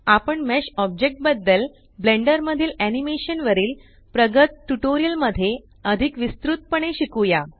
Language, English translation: Marathi, We will learn about mesh objects in detail in more advanced tutorials about Animation in Blender